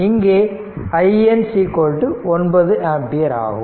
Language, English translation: Tamil, Now, this is 12 ampere